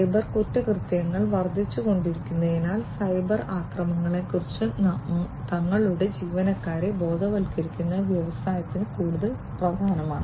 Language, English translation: Malayalam, And as cyber crimes are increasing it is more important for the industry to educate their employees about potential cyber attacks